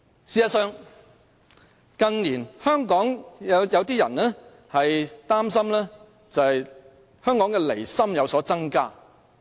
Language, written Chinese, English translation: Cantonese, 事實上，近年香港有一些人擔心港人的離心日益增加。, In fact some people have concerns that Hong Kong peoples separatist tendency has been increasing in recent years